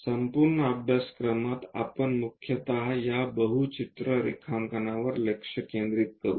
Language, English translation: Marathi, In our entire course, we will mainly focus on this multi view drawings